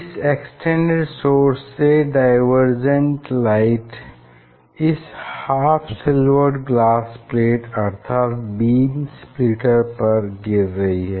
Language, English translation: Hindi, Now, the source extended source from this extended source or this divergence light falling on a half silver glass plate or beam splitter